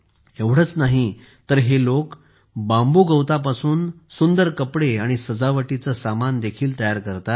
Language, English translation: Marathi, Not only this, these people also make beautiful clothes and decorations from bamboo grass